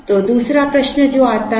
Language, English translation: Hindi, So, the other question that comes is